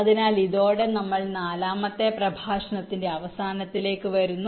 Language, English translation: Malayalam, ok, so with this we come to the end of ah, the forth lecture